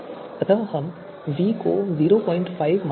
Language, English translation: Hindi, So here we are taking v as 0